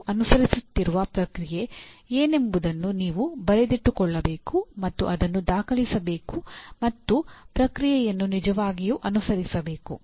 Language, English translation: Kannada, You should write a document on what is the process that we are following and it should be documented and actually follow the process